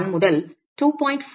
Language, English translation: Tamil, 1 to about 2